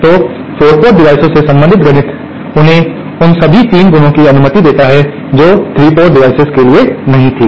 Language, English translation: Hindi, So, the mathematics related to the 4 port devices permit them to have all the 3 properties which was not the case for 3 port devices